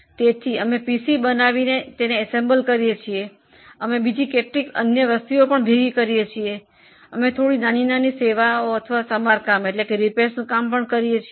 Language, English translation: Gujarati, So, we assemble PCs, we assemble certain other things, we also do some small service or repair work